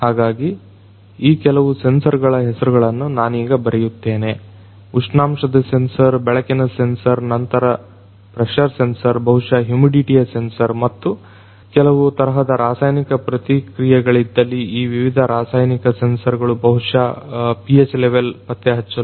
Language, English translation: Kannada, So, the names of some of these sensors, temperature sensor, light sensors, then you have pressure sensors, maybe humidity sensor and if you have some kind of chemical reactions these different chemicals chemical sensors for detecting maybe the pH level right